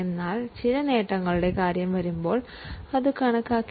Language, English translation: Malayalam, But when it comes to gains that there may be some gain, then we don't account for it